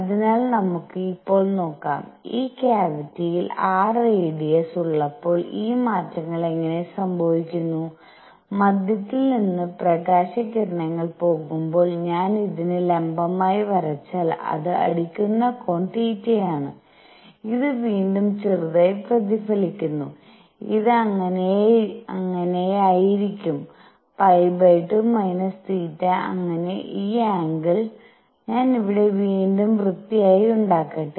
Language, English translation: Malayalam, So, let us see now; how these changes occur when this cavity has radius r and light ray is going such that from the centre, if I draw a perpendicular to this the angle where it hits is theta and this slightly reflects again and this is going to be pi by 2 minus theta and so this angle, let me make it here again cleanly